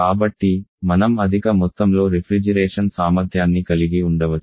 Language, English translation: Telugu, So, we can help higher amount of cooling capacity